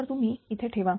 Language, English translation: Marathi, So, you put it here, right